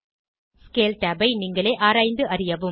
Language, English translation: Tamil, Explore Scale tab on your own